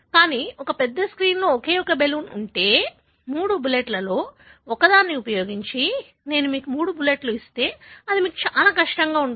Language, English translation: Telugu, But, if a large screen has got only one balloon, if I give you 3 bullets to hit, using one of the 3 bullets, it is going to be extremely difficult for you